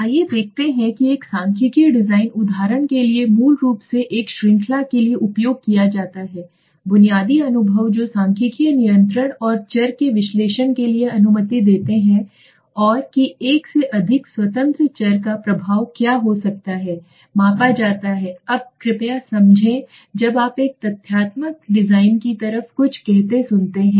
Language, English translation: Hindi, Let us see what a statistical design statistical designs for example are basically used for a series of basic experience that allow for statistical control and analysis of the variables and offer the following what are the advantages the effect of more than one independent variable can be measured now please understand when you hear something called like a factorial design